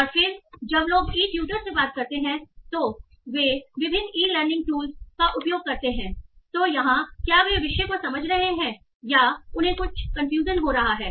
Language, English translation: Hindi, And then when people are using various e learning tools, they are talking to e tutors, are they understanding the topic or are they having some confusion